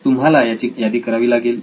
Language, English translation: Marathi, So you need to list them